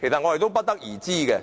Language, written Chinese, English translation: Cantonese, 我們不得而知。, We are uncertain of these